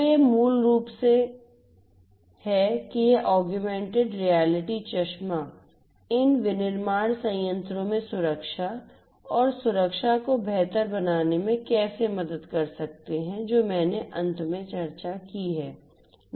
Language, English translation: Hindi, So, this is basically how you know these augmented reality glasses could help in improving the safety and security in these manufacturing plants is what I discussed at the end